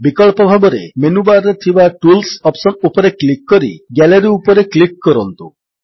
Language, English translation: Odia, Alternately, click on Tools option in the menu bar and then click on Gallery to open it